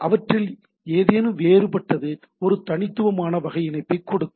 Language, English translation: Tamil, Any of them is different will give a unique type of connectivity